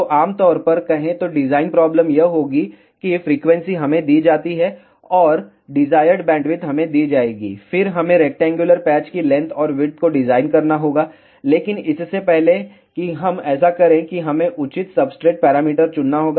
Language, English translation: Hindi, So, generally speaking design problem will be that frequency is given to us and desired bandwidth will be given to us and then we have to design the length and width of the rectangular patch, but before we do that we have to choose appropriate substrate parameters